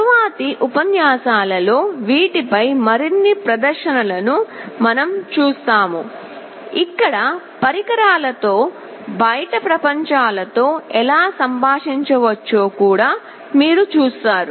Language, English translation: Telugu, We shall be seeing more demonstrations on these in the later lectures, where you will also be looking at how the devices can communicate with the outside world